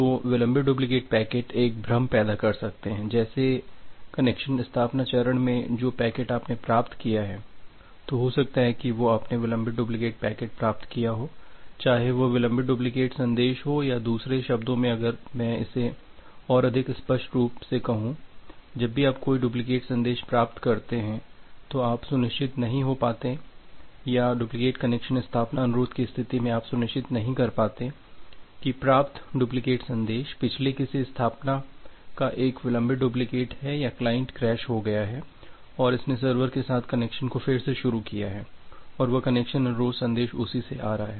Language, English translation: Hindi, So, the delayed duplicate packets may create a confusion like during the connection establishment phase that whether the packet that you are being received, say if you have received the delayed duplicate message, whether that delayed duplicate message is or in other words if I say it more clearly like whenever you receive a duplicate message, you do not be sure or duplicate connection establishment request you cannot be sure whether that duplicate message is a delayed duplicate of the earlier one or the client has crashed and it has re initiated the connection with the server and that connection request message is coming from that one